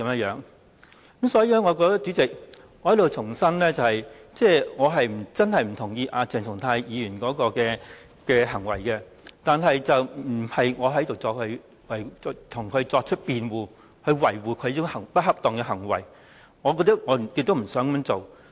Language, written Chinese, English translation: Cantonese, 因此，主席，我想在此重申，我並不認同鄭松泰議員的行為，我亦並非要在這裏為他辯護、維護他這種不恰當的行為，我是不想這樣做的。, Therefore President I wish to reiterate here that I do not approve of the behaviour of Dr CHENG Chung - tai and I am not making a defence for him; nor am I trying to shield his improper behaviour . This is not my intention